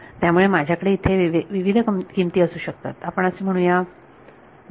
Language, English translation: Marathi, So, I can have different values over here let us say 0